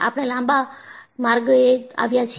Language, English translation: Gujarati, So, we have come a long way